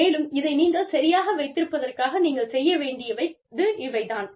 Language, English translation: Tamil, And, this is what you need to, in order to keep this, right